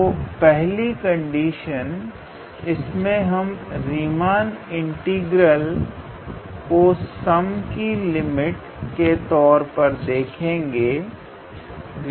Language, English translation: Hindi, So, the first one is: so Riemann integral as the limit of a sum